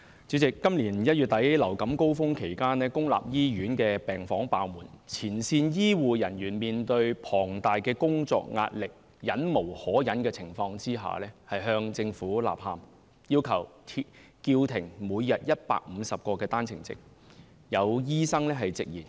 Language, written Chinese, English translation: Cantonese, 主席，今年1月底流感高峰期間，公立醫院病房爆滿，前線醫護人員面對龐大工作壓力，在忍無可忍的情況下向政府吶喊，要求叫停每天150個單程證。, President during the peak season of influenza in January this year wards of public hospitals were all occupied and frontline health care workers were facing immense work pressure . The situation was so intolerable that they started to make a rallying cry to the Government by requesting the Government to halt the daily quota of 150 One - way Permits OWPs